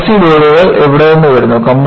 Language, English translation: Malayalam, Where do the compressive loads come